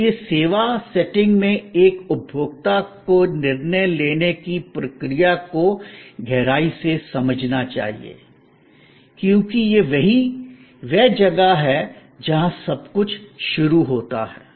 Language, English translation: Hindi, So, the process of decision making of a consumer in the service setting must be understood in depth, because that is where everything starts